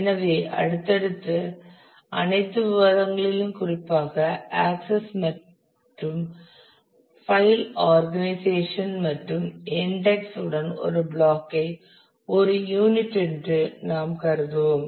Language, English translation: Tamil, So, you will see that in all our subsequent discussions particularly with the access and the file organization and the indexing we will consider that a block is one unit